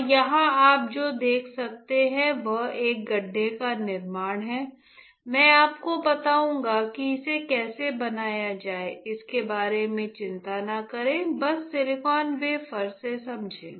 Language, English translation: Hindi, And here what you can see there is a creation of a pit I will tell you how to create it do not worry about it just understand that from the silicon wafer